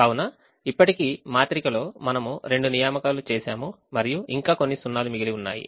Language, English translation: Telugu, so right now we have made two assignments and there are still some zeros that are left